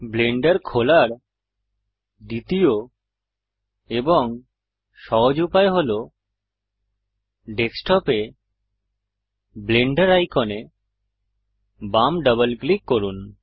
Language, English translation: Bengali, The second and easier way to open Blender is Left double click the Blender icon on the desktop